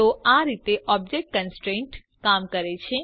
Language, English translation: Gujarati, So this is how an object constraint works